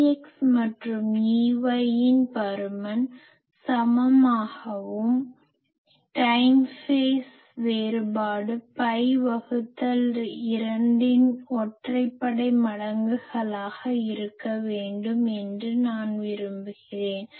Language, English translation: Tamil, That E x magnitude and E y magnitude to be same also I want time phase difference is odd multiples of pi by 2